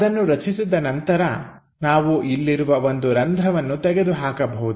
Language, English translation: Kannada, So, once that is constructed, we can just remove that there is a hole here